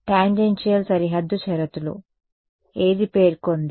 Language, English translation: Telugu, Tangential boundary conditions, which states that